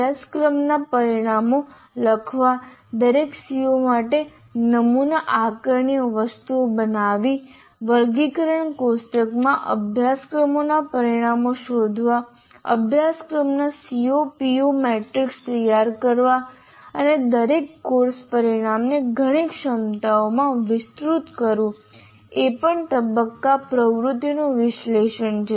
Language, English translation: Gujarati, Writing course outcomes, creating sample assessment items for each one of the C O's or the course outcomes, locating course outcomes in the taxonomy table, preparing the C O PSO matrix of the course, and elaborating each course outcome into several competencies, it could be total number of competencies could be 15 plus or minus 5